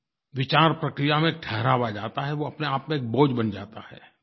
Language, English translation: Hindi, The thought process comes to a standstill and that in itself becomes a burden